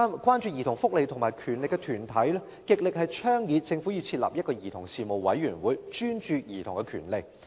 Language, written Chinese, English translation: Cantonese, 關注兒童福利及權利的團體極力倡議政府設立一個兒童事務委員會，專注兒童權利。, Organizations concerned about children welfare and rights strongly advocate that the Government establishes a Commission on Children dedicated to childrens rights